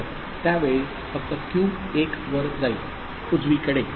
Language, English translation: Marathi, So, at that time only Q will go to 1, right